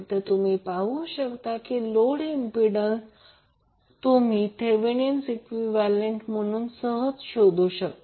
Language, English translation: Marathi, So, this you can see that the load impedance, you can easily find out by creating the Thevenin equivalent